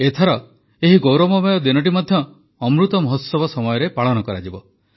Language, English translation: Odia, This time this pride filled day will be celebrated amid Amrit Mahotsav